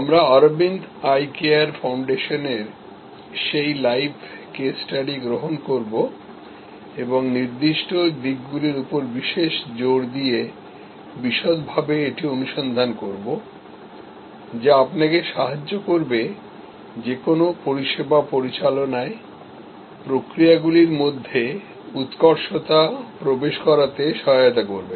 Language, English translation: Bengali, We will take up that live case study on Aravind Eye Care Foundation and look into it in detail with particular emphasis on certain aspects, which will help you to configure, processes versus excellence in any service that you manage